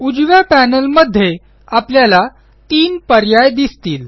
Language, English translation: Marathi, On the right panel, we see three options